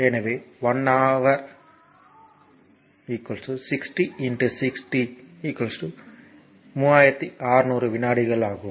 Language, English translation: Tamil, So, 1 hour is equal to 60 into 6